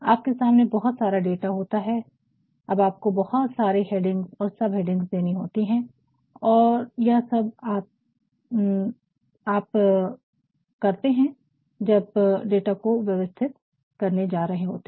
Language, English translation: Hindi, So, you have a lot of data before you and now you have to provide several heads, sub heads, and all these you can do when you are going to organize the data